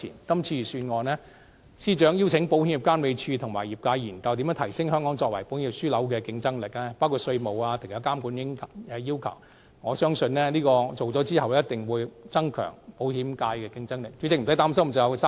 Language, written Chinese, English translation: Cantonese, 今次預算案，司長邀請了保險業監管局及業界研究如何提升香港作為保險業樞紐的競爭力，包括稅務安排和其他監管要求，我相信研究完成後，定必可以增強保險界的競爭力。, For the purpose of this Budget the Secretary has invited the Insurance Authority and the industry to examine ways such as taxation arrangements and other regulatory requirements to enhance Hong Kongs competitiveness as an insurance hub . I believe the insurance industry will be rendered more competitive after the completion of the study